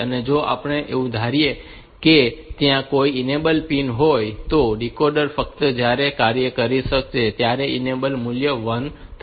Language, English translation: Gujarati, If we assume that there are some enable pin and this enable pin, if the decoder will be operating only if this enable value is 1